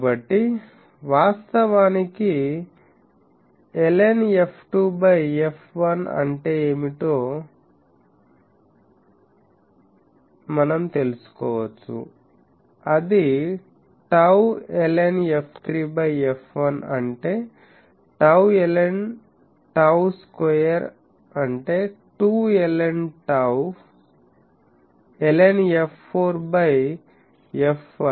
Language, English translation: Telugu, So, actually we can know that what is ln f 2 by f 1; that is tau, ln f 3 by f 1 that is tau ln tau square; that means, 2 ln tau, ln f 4 by f 1 that will be 3 ln tau